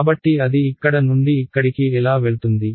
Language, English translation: Telugu, So how will it go from here to here